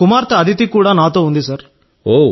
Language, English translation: Telugu, My daughter Aditi too is with me Sir